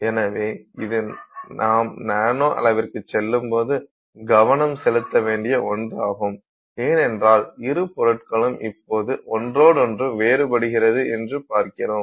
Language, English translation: Tamil, So, so this is something that we have to pay attention to when we go into the nanoscale and because that makes a difference on how well the two parts will now behave with respect to each other